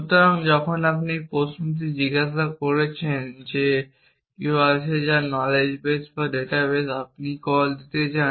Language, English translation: Bengali, So, when you asking a question that is there somebody whose mortal in the knowledge base or data base whatever you want to call it